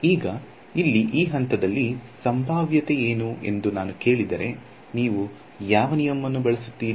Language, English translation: Kannada, Now, if I ask you what is the potential at this point over here, how what law would you use